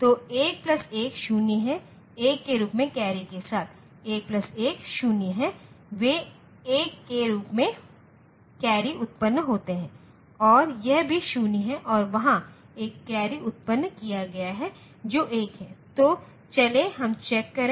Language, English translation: Hindi, So, 1 plus 1 is 0 with a carry generated as 1, 1 plus 1 is 0 they carry generated as 1 and this is also 0 and there is a carry generated which is 1